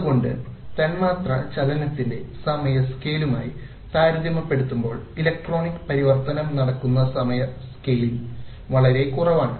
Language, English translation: Malayalam, Therefore the time scale in which the electronic transition takes place is so much less compared to the time scale of molecular motion